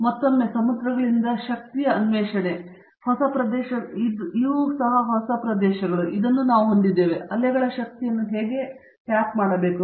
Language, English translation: Kannada, Again the quest for energy from the oceans, we have the new areas, how to tap energy from the waves